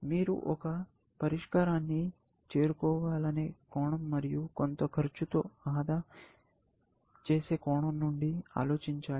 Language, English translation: Telugu, You have to think of it from the perspective of reaching a solution, and the perspective of saving on some amount, of course